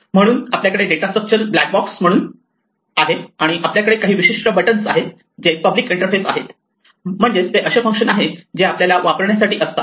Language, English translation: Marathi, So, we have the data structure as a black box and we have certain buttons which are the public interface, these are the functions that we are allowed to use